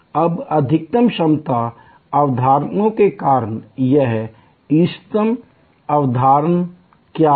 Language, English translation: Hindi, Now, what is this optimal concept, as supposed to the maximum capacity concepts